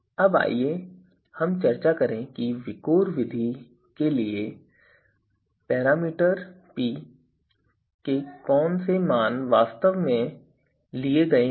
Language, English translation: Hindi, Now what you know parameters so what values of a parameter p is actually taken for the VIKOR method